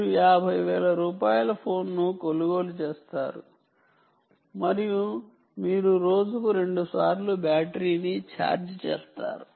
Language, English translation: Telugu, you buy a fifty thousand rupee phone, um, and you end up charging the battery twice a day, twice a day, twice a day to charge